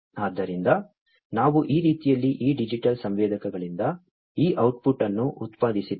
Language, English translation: Kannada, So, we have then this output produced from these digital sensors in this manner right